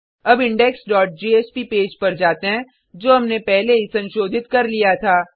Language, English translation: Hindi, Let us go to the index dot jsp page, that we had already modified earlier